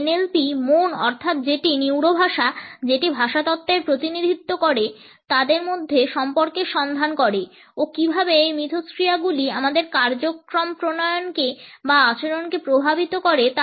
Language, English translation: Bengali, NLP delves into the relationship between the mind that is the neuro, the language which is the representation of linguistics offering how these interactions impact our programming or behaviour